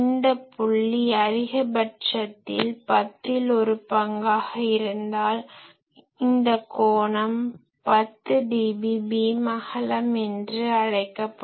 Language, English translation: Tamil, So, if this point is one tenth of maximum, this point is one tenth of maximum, then this angle will be called 10dB beamwidth